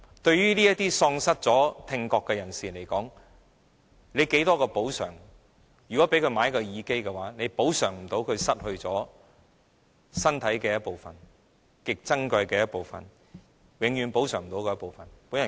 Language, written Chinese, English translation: Cantonese, 對於這些已經喪失聽覺的人士而言，不管提供多少補償，供他購買耳機，也無法補償他失去身體的一部分、極珍貴的一部分、永遠無法補償的一部分。, To those who have already lost their hearing no matter how much compensation is made to them for the purchase of hearing aids it cannot make up for their loss of the functionality of a part of their bodies a highly precious part of the bodies . Such loss can never be compensated